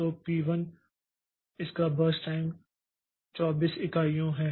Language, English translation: Hindi, So, p1 is its burst time is 24 units